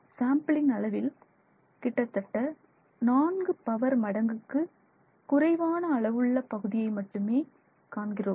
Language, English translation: Tamil, So, you are looking at a spot that is 4 orders of magnitude smaller than the sample